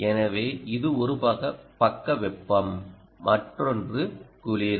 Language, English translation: Tamil, one side is the hot and the other is the cold